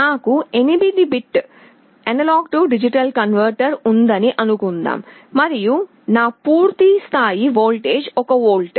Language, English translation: Telugu, Suppose I have an 8 bit A/D converter and my full scale voltage is 1 volt